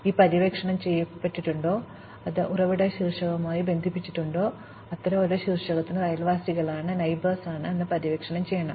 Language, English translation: Malayalam, Has it been explored, is it connected to the source vertex, also for each such vertex, we have to explore its neighbors